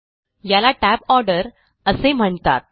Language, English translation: Marathi, This is called the tab order